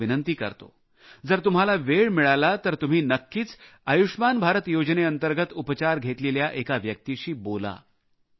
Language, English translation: Marathi, I request you, whenever you get time, you must definitely converse with a person who has benefitted from his treatment under the 'Ayushman Bharat' scheme